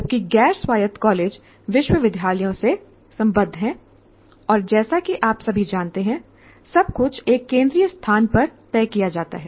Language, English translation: Hindi, Whereas non autonomous colleges are affiliated to universities and as you all know, everything is decided by the in a central place